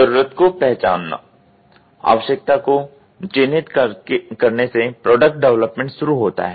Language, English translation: Hindi, Need recognition: the product development begins with identification need